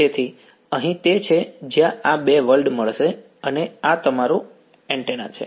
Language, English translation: Gujarati, So, here is where these two worlds will meet and this is your antenna right